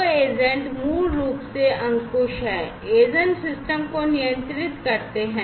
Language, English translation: Hindi, So, the agents basically are control, you know, agents basically control the system